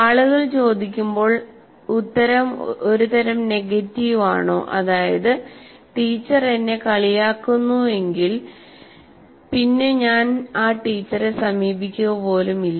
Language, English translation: Malayalam, People ask if the answer is kind of negative, yes, the teacher doesn't make, makes me feel dumb, then I will not even approach the teacher